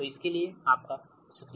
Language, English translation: Hindi, so thank you, ah, for this